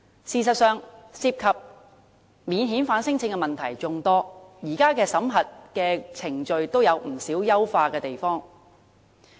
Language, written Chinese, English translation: Cantonese, 事實上，涉及免遣返聲請的問題眾多，現時的審核程序也有不少需要優化的地方。, There are indeed plenty of problems associated with non - refoulement claims and considerable room for improvement with regard to the existing screening process